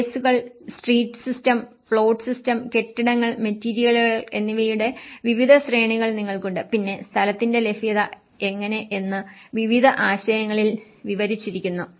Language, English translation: Malayalam, You have the various hierarchy of spaces, street system, plot system, buildings, materials and then how the production of space has been described in various concepts